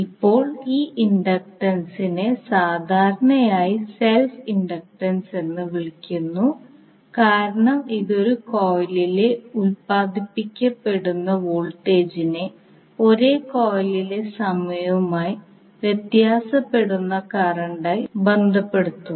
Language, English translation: Malayalam, Now this inductance is commonly called as self inductance because it relate the voltage induced in a coil by time varying current in the same coil